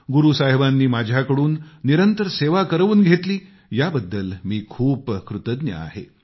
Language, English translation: Marathi, I feel very grateful that Guru Sahib has granted me the opportunity to serve regularly